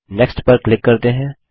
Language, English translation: Hindi, Next click on the Finish button